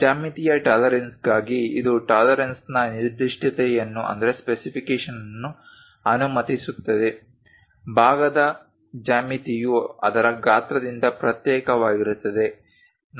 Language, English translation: Kannada, For geometric tolerancing it allows for specification of tolerance, for geometry of the part separate from its size